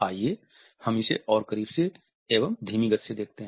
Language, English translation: Hindi, Let us have a look in even slower slow motion from closer